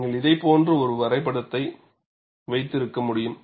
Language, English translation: Tamil, And you could have a graph something like this